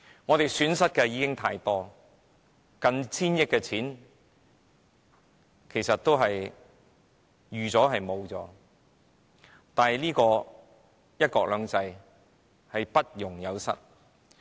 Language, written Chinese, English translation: Cantonese, 我們已經蒙受太多的損失，近千億元的公帑其實亦已預期將要付出，但"一國兩制"卻不容有失。, We have already suffered too great a loss . Almost 100 billion of public money is expected to be used . But we cannot accept any damage whatsoever to one country two systems